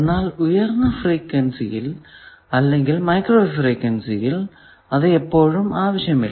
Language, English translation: Malayalam, But always in even in high frequency design microwave frequency circuit designs we do not require